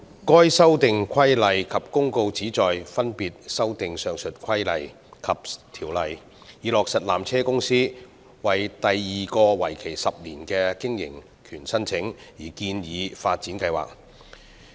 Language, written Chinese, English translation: Cantonese, 上述附屬法例旨在分別修訂有關的規例及條例，以落實山頂纜車有限公司為第二個為期10年的經營權申請而建議的發展計劃。, The two items of subsidiary legislation mentioned above seek to amend the relevant regulation and ordinance respectively with a view to implementing the proposed upgrading plan submitted by Peak Tramways Company Limited PTC together with its application for the second 10 - year operating right